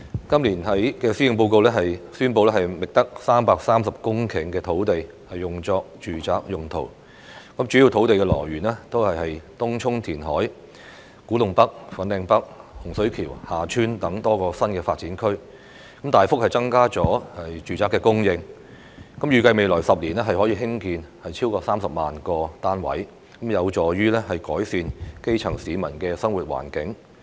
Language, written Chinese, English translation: Cantonese, 今年的施政報告宣布覓得330公頃土地用作住宅用途，主要土地來源是東涌填海、古洞北/粉嶺北、洪水橋/厦村等多個新發展區，大幅增加了住宅供應，預計未來10年可興建超過30萬個單位，有助於改善基層市民的生活環境。, It is announced in this years Policy Address that 330 hectares of land have been identified for residential use . Such land supply mainly comes from reclamation in Tung Chung and the various New Development Areas NDAs such as Kwu Tung NorthFanling North and Hung Shui KiuHa Tsuen . There will be a significant increase in the supply of residential units as it is expected that more than 300 000 units can be built in the coming 10 years which is conducive to improving the living environment of the grass roots